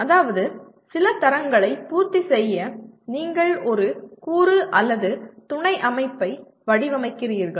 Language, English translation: Tamil, That means you design a component or a subsystem to meet certain standards